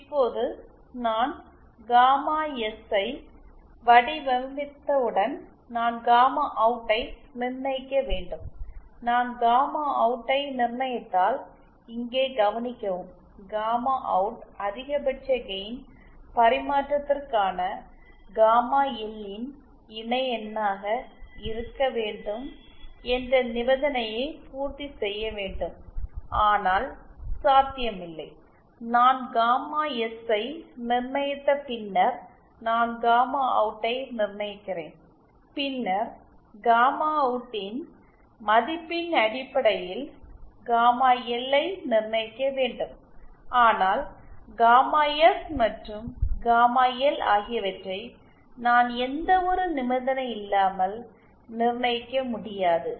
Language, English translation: Tamil, Now once I design gamma S I fix my gamma OUT if I fix my gamma OUT then notice here I also have to satisfy the condition that gamma OUT should be equal to the conjugate of gamma L for maximum power transfer that is not possible I if I fix gamma S then I am fixing gamma OUT and then I have to fix gamma L based on the value of gamma OUT I can’t independently fix gamma S and gamma L